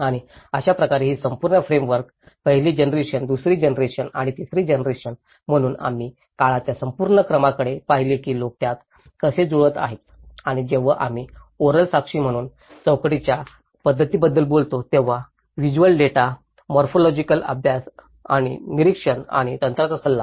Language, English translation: Marathi, And that is how this whole framework, the first generation, second generation and the third generation, so we looked at the whole sequence of time how people have adapted to it and when we talk about the methods of inquiry as oral testimonies, the visual data, the morphological studies, observation and expert advice